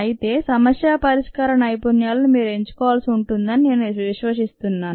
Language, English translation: Telugu, however, i believe that you need to pick up these skills of problem solving